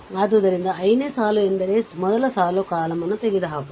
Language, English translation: Kannada, So, ith row means first one first row column you eliminate